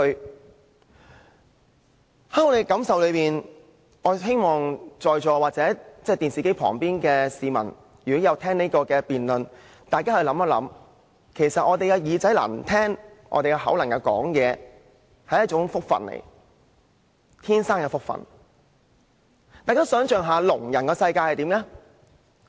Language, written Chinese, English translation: Cantonese, 根據我們的感受，我們希望在席或電視機前聆聽這項辯論的市民可以想想，其實我們的耳朵能聽、嘴巴能說，實在是一種福氣，是自出生時便有的福氣。, Talking about our senses we hope the Members present and people listening to this debate on television can realize that being able to hear with ones ears and speak with ones mouth is actually a very great blessing a blessing that came with ones birth